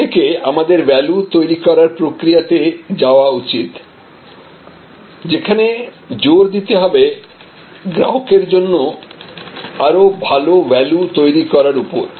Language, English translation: Bengali, In that from there we must go to this value creation process, where again emphasis has to be on offering better and better values to your customer